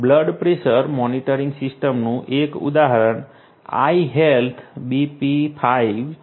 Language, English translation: Gujarati, One such example of blood pressure monitoring system is iHealth BP5